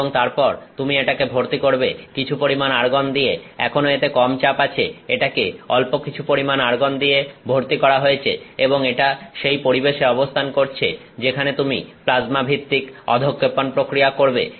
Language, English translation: Bengali, And, then you refill with some amount of argon, little bit of argon it is still low pressure it is filled with little bit of argon and it is in that atmosphere that you are doing this plasma based deposition process